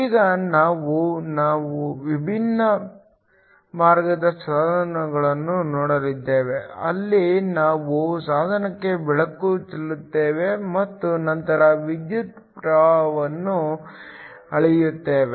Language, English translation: Kannada, Now, we are going to look at a different class of devices where we shine light on to the device and then measure the electric current